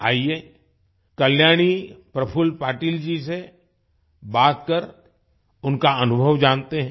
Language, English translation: Hindi, Come let's talk to Kalyani Prafulla Patil ji and know about her experience